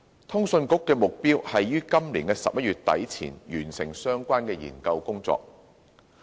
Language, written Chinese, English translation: Cantonese, 通訊局的目標，是於今年11月底前完成相關研究工作。, CA aims to complete the relevant study by late November this year